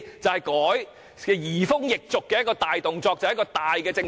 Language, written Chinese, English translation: Cantonese, 這才是移風易俗的大舉措，重大的政策改變。, This is rather a drastic move and a major policy change